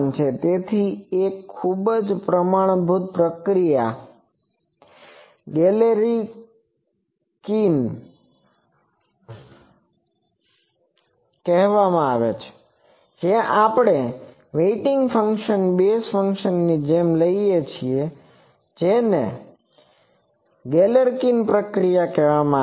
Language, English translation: Gujarati, So, a very standard procedure is called Galerkin procedure, where the we take the weighting function same as the basis function this is called Galerkin procedure